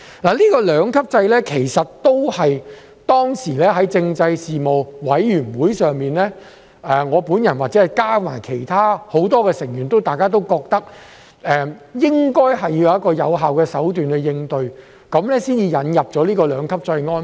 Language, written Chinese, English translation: Cantonese, 就這個兩級制，其實當時在政制事務委員會上，我本人加上很多委員都認為，政府應該是為了有一個有效的手段應對"起底"行為，所以才引入這個兩級制安排。, Regarding this two - tier structure back then in the Panel on Constitutional Affairs I myself and many members thought that the Government probably sought to introduce it to provide for an effective means to tackle doxxing acts